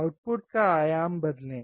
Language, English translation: Hindi, Change the amplitude of the output